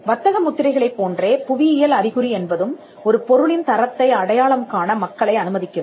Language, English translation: Tamil, Then geographical indication like trademarks, it allows people to identify the quality of a product